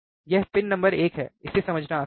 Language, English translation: Hindi, This is pin number one, it is easy to understand